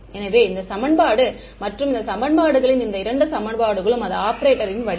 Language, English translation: Tamil, So, this equation and this equation both of these equations, that form of the operator is the same right